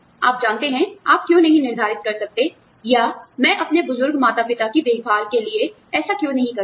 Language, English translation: Hindi, You know, why cannot you determine, you know, or, why cannot I do the same, for taking care of my elderly parents